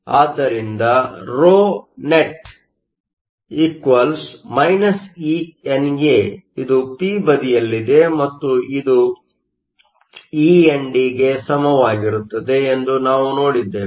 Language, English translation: Kannada, So, we saw that the ρnet = e NA, this is the p side and it is equal to e ND is the n side